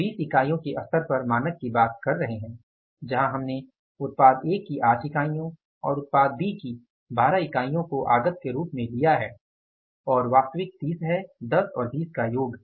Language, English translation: Hindi, Standard we are working out at the level of 20 units where we have given the input of 8 units of product A and 12 units of the product B and actual is 30 total 10 and 20